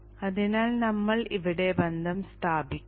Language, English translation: Malayalam, Therefore we will not make the connection here